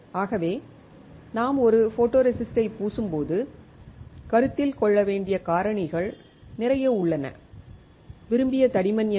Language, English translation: Tamil, So, there are lot of factors to be considered when we are coating a photoresist like; what is the thickness desired